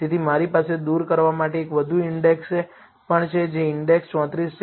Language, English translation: Gujarati, So, I also have one more index to remove, which is index 34